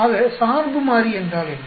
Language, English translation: Tamil, So, what is the dependent variable